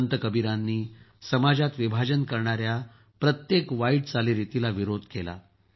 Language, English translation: Marathi, Sant Kabir opposed every evil practice that divided the society; tried to awaken the society